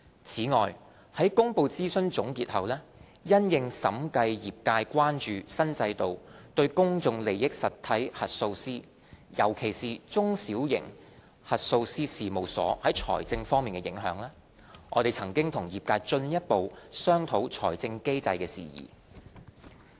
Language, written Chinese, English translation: Cantonese, 此外，在公布諮詢總結後，因應審計業界關注新制度對公眾利益實體核數師，尤其是中小型核數師事務所在財政方面影響，我們曾與業界進一步商討財政機制事宜。, In addition following the release of consultation conclusions we have further discussed the issue of funding mechanism with the profession in view of the concerns of the profession over the financial implications of the new regime on PIE auditors particularly small and medium - sized audit firms